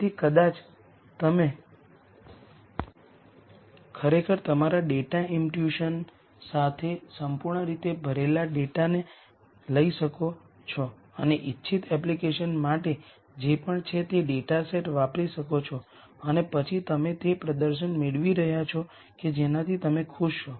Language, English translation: Gujarati, So, maybe you could actually take the completely filled in data with your data imputation and use the data set for whatever the intended application is and then look at whether you are getting a performance that you are happy with